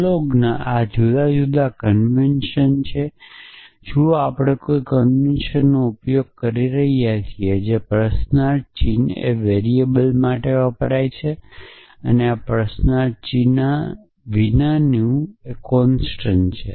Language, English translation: Gujarati, So, prolog is this the different convention pro see we are using a convention that question mark stands for the variable and something without a question mark stands for a constant